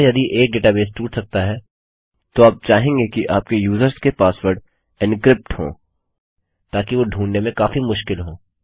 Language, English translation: Hindi, Therefore if a data base can be broken into you will want every password belonging to your users to be encrypted, so that they are much harder to find